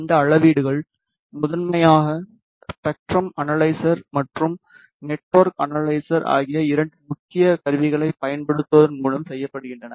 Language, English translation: Tamil, And these measurements are primarily done by using two main instruments which is spectrum analyzer and network analyzer